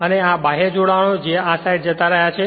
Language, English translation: Gujarati, And this is your external connections whatever it has gone to this side